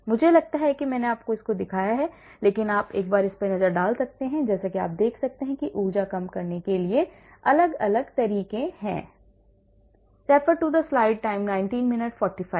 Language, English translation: Hindi, I think I did not show it to you, but you can have a look at it and as you can see there are different methods for energy minimization